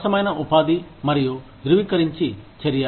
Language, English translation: Telugu, Fair employment versus affirmative action